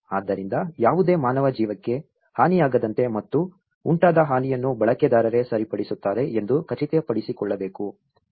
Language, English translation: Kannada, So, it has to ensure that there is no loss of human life and the damage that the damage produced would be repaired by the user themselves